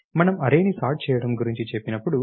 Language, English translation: Telugu, When we will say sorting an array